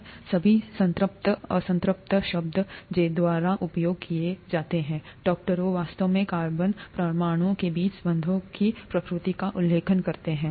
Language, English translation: Hindi, All these saturated unsaturated terms that are used by doctors, actually refer to the nature of the bonds between the carbon atoms